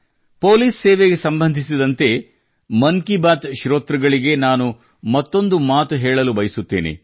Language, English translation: Kannada, There is one more thing related to police service that I want to convey to the listeners of 'Mann Ki Baat'